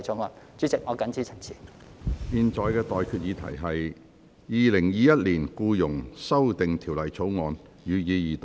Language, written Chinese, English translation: Cantonese, 我現在向各位提出的待決議題是：《2021年僱傭條例草案》，予以二讀。, I now put the question to you and that is That the Employment Amendment Bill 2021 be read the Second time